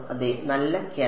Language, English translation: Malayalam, Yes good catch